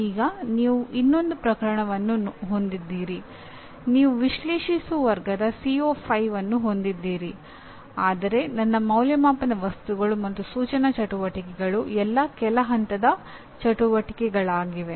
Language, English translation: Kannada, Now you have another case, you have CO5 is in analyze conceptual category but I have my assessment items as well as instructional activities or all at the lower level activities